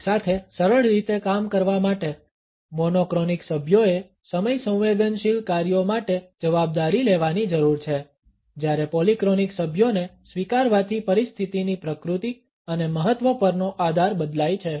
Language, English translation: Gujarati, In order to work together smoothly, monotonic members need to take responsibility for the time sensitive tasks while accepting the polyphonic members will vary the base on the nature and importance of a situation